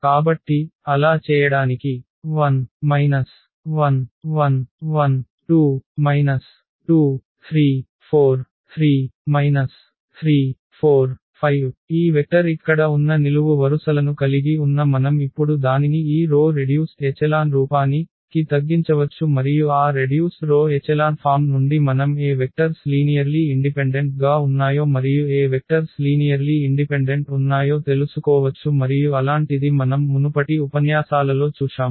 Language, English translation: Telugu, Having this vector here whose columns are the given vectors we can now reduce it to this row reduced echelon form and from that row reduced echelon form we can find out that which vectors are linearly independent and which vectors are linearly dependent and we have seen one such example before in previous lectures